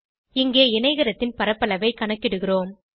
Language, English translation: Tamil, Then we calculate the area of the rectangle